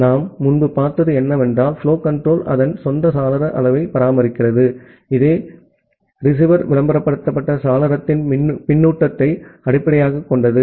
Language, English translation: Tamil, And what we have seen earlier that well, the flow control it maintain its own window size, which is based on the feedback of receiver advertised window